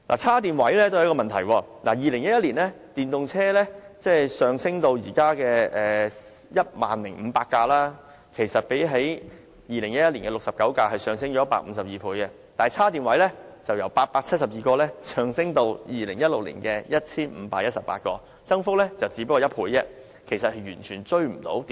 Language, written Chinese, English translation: Cantonese, 充電位也是一個問題，電動車數目由2011年的69輛上升至現時的 10,500 輛，增幅152倍，充電位則由872個上升至2016年的 1,518 個，增幅僅約一倍，完全追不上電動車數目的增幅。, And there is the issue concerning charging spaces . While the number of electric vehicles has increased by 152 times from 69 in 2011 to 10 500 today the number of charging spaces has only barely doubled from 872 to 1 518 in 2016 . So the increase in charging spaces totally cannot catch up the number of electric vehicles